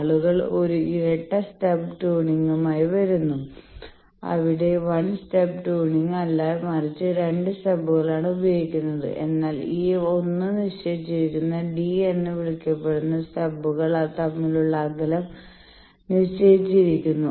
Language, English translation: Malayalam, So, people come up with a double stub tuning where the 2 stubs are used not 1 stub, but the distance between the stubs that is called d that is fixed this 1 is fixed